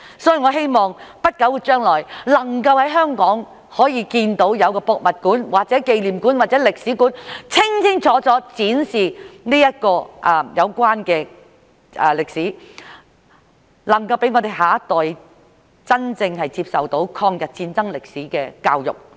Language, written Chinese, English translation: Cantonese, 所以，我希望在不久將來能夠在香港看到有博物館或紀念館，或者歷史館清清楚楚展示有關歷史，能夠讓我們下一代真正接受抗日戰爭歷史的教育。, Therefore I hope that in the near future there will be museums memorial halls or museums of history in Hong Kong providing clear presentation of the relevant history so that our next generation can truly receive education on the history of the War of Resistance